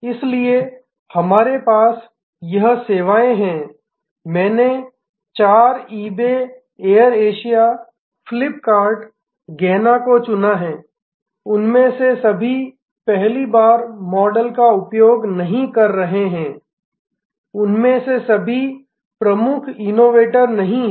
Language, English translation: Hindi, So, we have this services I have chosen four eBay, Air Asia, Flip kart, Gaana, not all of them are using a first time model, not all of them are the lead innovators